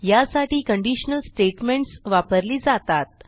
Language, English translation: Marathi, In such cases you can use conditional statements